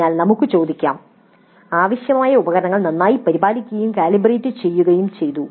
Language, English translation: Malayalam, So we can ask the question required equipment was well maintained and calibrated properly